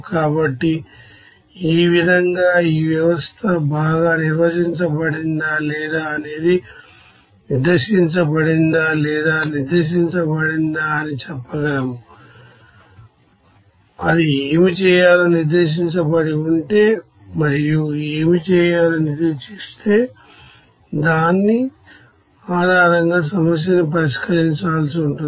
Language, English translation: Telugu, So like this in this way we can you know say whether the system is you know well defined or not whether it is over specified or under specified, if it is under specified what to do and if it is over specified what to do, so based on which we have to solve the problem